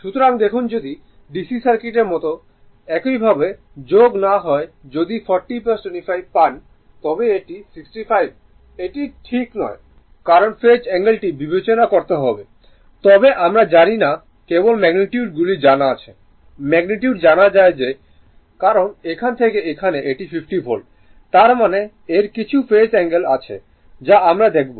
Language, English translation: Bengali, So, look if, you like a DC Circuit do not add like this right, if you get 40 plus 25 it is 65 it is not correct because, you have to consider the Phase angle right, but we do not know only magnitudes are known magnitudes are known that is why from here to here it is 50 Volt; that means, it has some phase angle we will see that and , and this Voltage across the Capacitor is 45 Volt